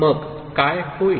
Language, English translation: Marathi, Then what happens